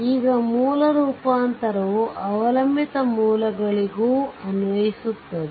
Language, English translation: Kannada, Now source transformation also applied to dependent sources